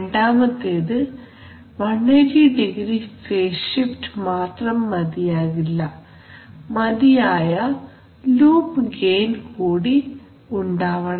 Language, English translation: Malayalam, The second point is that but just having 180˚ phase shift is not enough, we should have enough loop gain